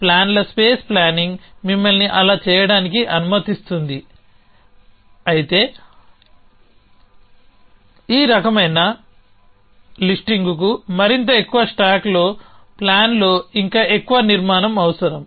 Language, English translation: Telugu, So plans space planning allows you to do that but, this kind of listing which is more up stack requires still more structure in the plan